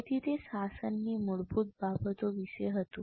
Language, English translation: Gujarati, So that was about the basics of governance